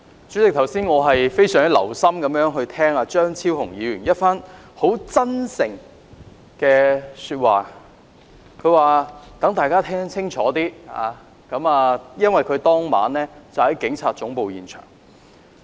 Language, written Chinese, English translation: Cantonese, 主席，我剛才非常留心聆聽張超雄議員一番很"真誠"的發言，他說要讓大家清楚情況，因為他當晚在警察總部現場。, President I have listened very carefully to Dr Fernando CHEUNGs very sincere speech . He said that he wanted to give everyone a clear picture as he was at the scene on that night outside the Police Headquarters